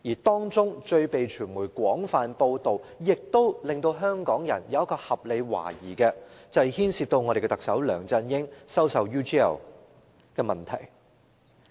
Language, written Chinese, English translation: Cantonese, 當中最被傳媒廣泛報道，亦令香港人有合理懷疑的，便是牽涉特首梁振英收受 UGL 金錢的問題。, The reason most widely reported by the media and suspected by the Hong Kong public is that her departure is connected with Chief Executive LEUNG Chun - yings receipt of money from UGL Limited